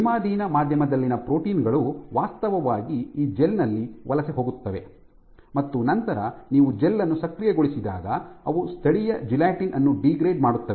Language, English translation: Kannada, These proteins within the conditioned media will actually migrate on this gel and then when you activate the gel they actually we degrade the local gelatin